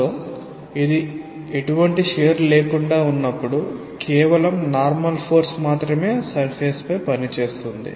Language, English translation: Telugu, So, when it is without any shear, it is just the normal force which is acting on the surface